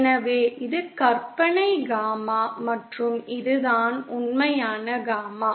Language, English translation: Tamil, So this is the imaginary gamma and this is the real gamma